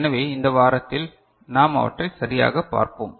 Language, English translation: Tamil, So, in this week we shall look into them right